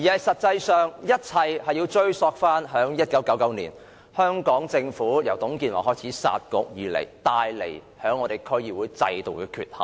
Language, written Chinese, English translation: Cantonese, 實際上，一切要追溯至1999年，香港政府自董建華開始"殺局"以來，對區議會制度造成的缺陷。, In fact we have to turn back the clock to the year 1999 when the Municipal Councils were scrapped by TUNG Chee - hwa which caused the deficiency of the system